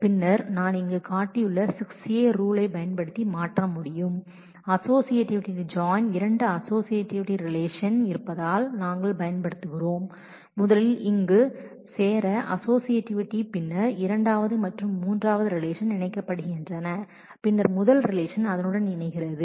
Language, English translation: Tamil, And then we can transform using the rule 6a which I have shown here which is basically the associativity of joint because there are two join relations and we are using the associativity of join to first join the here then second and third relations are joined first and then the first relation is joined with that